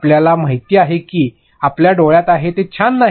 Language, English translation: Marathi, You know it is in your eye, it is not cool